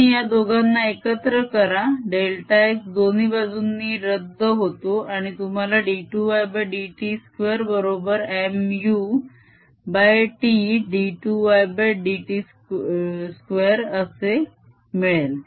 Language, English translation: Marathi, you combine the two delta x cancels from both sides and you get d two y by d x square is equal to mu over t